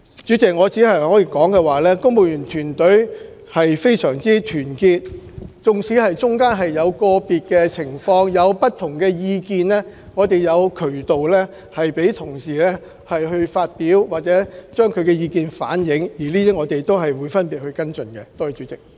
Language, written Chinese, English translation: Cantonese, 主席，我只可以說，公務員團隊非常團結，其間縱使在個別情況有不同意見，我們亦有渠道讓同事反映意見，我們亦會個別作出跟進。, President all I can say is that civil servants are solidly united . Although they may sometimes have diverse views under certain circumstances channels are in place for them to reflect their views which will then be followed up individually